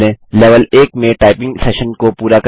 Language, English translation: Hindi, Complete the typing lesson in level 1